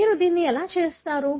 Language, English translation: Telugu, That is how you do it